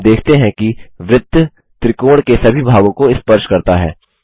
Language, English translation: Hindi, We see that the circle touches all the sides of the triangle